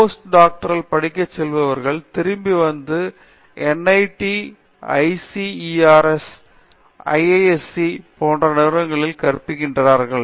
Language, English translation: Tamil, And, the students who go for postdoctoral fellowships they come back and teach at institutes of higher learning like NITs, ICERS, IITs and IISC and so on